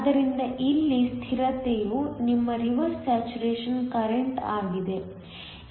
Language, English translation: Kannada, So, the constant here is your reverse saturation current